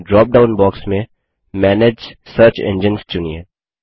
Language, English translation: Hindi, In the drop down box, select Manage Search Engines